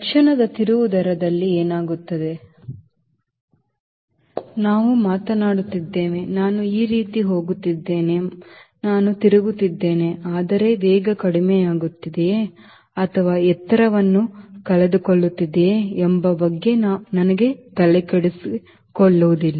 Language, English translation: Kannada, in instantaneous turn rate we are talking about, i am going like this, i am turning, but i am not bothered about whether the speed is reducing or whether it is losing the altitude